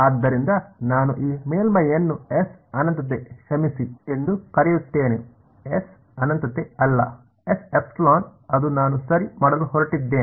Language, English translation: Kannada, So, I will call this surface to be S infinity sorry, not S infinity S epsilon that is what I am going to do ok